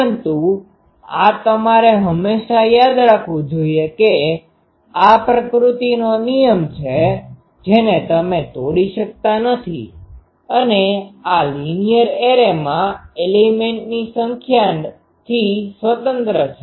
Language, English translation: Gujarati, But this you should always remember that this is a law of nature you cannot break and this is independent of the number of elements in the linear array